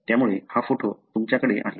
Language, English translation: Marathi, So, that is why you have this photograph